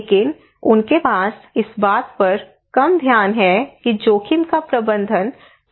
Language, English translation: Hindi, But they have less focus on how to manage the risk